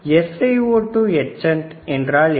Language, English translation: Tamil, What is SiO2 etchant